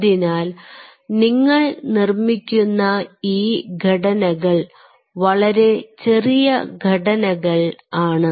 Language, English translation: Malayalam, ok, so restructures which you are making are very small structures